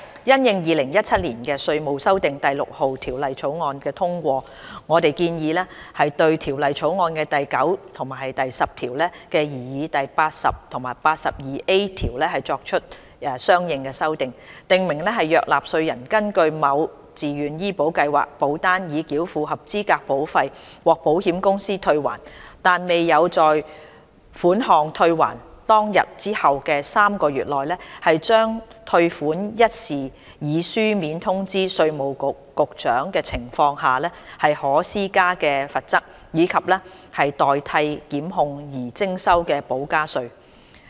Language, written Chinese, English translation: Cantonese, 因應《2017年稅務條例草案》通過，我們建議對《條例草案》的第9及10條的擬議第80及 82A 條，作出相應修訂，訂明若納稅人根據某自願醫保計劃保單已繳付合資格保費，獲保險公司退還，但未有在款項退還當天後的3個月內，將退款一事以書面通知稅務局局長的情況下，可施加的罰則，以及代替檢控而徵收的補加稅。, 6 Bill 2017 we propose to make consequential amendments to the proposed sections 80 and 82A under clauses 9 and 10 of the Bill to specify the penalty and additional tax in lieu of prosecution for a failure to notify the Commissioner of Inland Revenue in writing of a refund of qualifying premiums under a Voluntary Health Insurance Scheme VHIS policy within three months after the date of refund